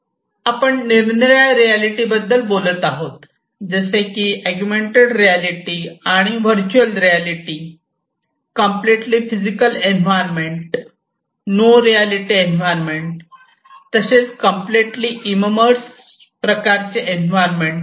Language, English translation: Marathi, So, we are talking about different types of reality; we are talking about augmented reality, we are talking about virtual reality, we are talking about you know no reality at all, completely physical environment, we are talking about completely immersed kind of environment